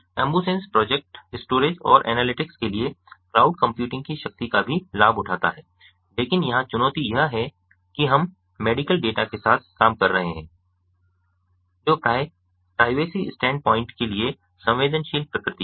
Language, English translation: Hindi, the ambusens project also leverages the power of cloud computing for storage and analytics, but here the challenge is that we are dealing with medical data which is often of a sensitive nature for a privacy stand point